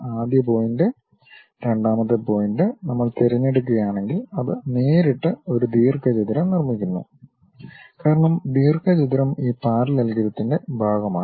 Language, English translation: Malayalam, First point, second point, if we are picking, then it construct directly a rectangle because rectangle is part of this parallelogram